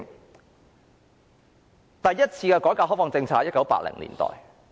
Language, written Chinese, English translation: Cantonese, 中國第一次改革開放在1980年代推行。, The first reform and opening - up of China was in the 1980s